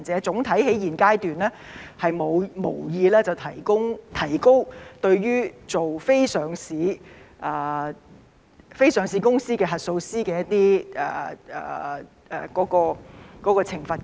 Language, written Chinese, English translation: Cantonese, 總體而言，在現階段，政府無意提高對於非上市公司核數師的罰款。, In general the Government has no intention to increase the fines for auditors of unlisted companies at this stage